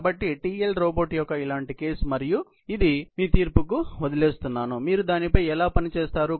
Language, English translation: Telugu, So, a similar case of TL robot and this I leave to your judgment; how would you work on it